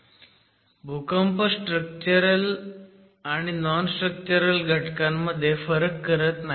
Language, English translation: Marathi, However, the earthquake does not distinguish between a structural component and nonstructural component